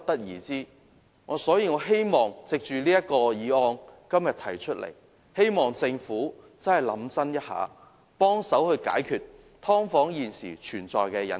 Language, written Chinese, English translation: Cantonese, 因此，我希望今天這項議案能促使政府認真思考一下，幫忙解決"劏房"現時存在的隱憂。, Hence I hope that todays motion can urge the Government to think carefully how to help address the hidden concerns about subdivided units at present